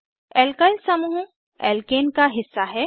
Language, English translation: Hindi, Alkyl group is a fragment of Alkane